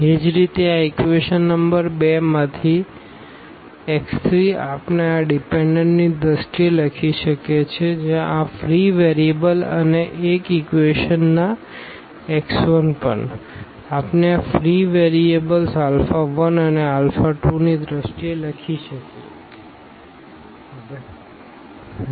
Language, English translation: Gujarati, Similarly, the x 3 from this equation number 2 we can write down in terms of this the dependent where these free variables and also the x 1 from equation number 1, we can write down in terms of these free variables alpha 1 and alpha 2 in the vector form we can place them